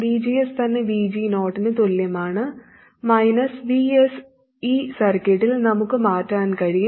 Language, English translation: Malayalam, And VGS itself equals VG 0 which is fixed minus VS, which we can vary in this circuit